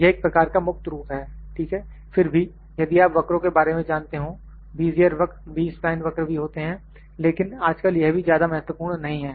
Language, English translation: Hindi, This is a kind of freeform, ok however, if we know about; if you know about the curves the Bezier curve, b spline curve those are also there, but nowadays those are also not very significant